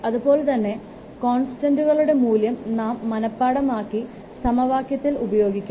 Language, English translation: Malayalam, Accordingly, the value of the constants, you have to remember and put in the equation